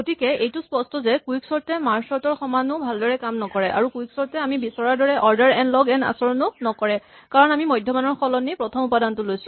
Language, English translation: Assamese, So, clearly quicksort is not behaving as well as merge sort and we will see in fact, that quicksort does not have an order n log n behavior as we would have liked and that is because we are not using the median, but the first value to speak